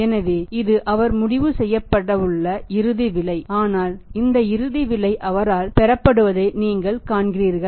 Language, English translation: Tamil, So, he is; this is the final price going to be decided but you see this final price is going to be received by him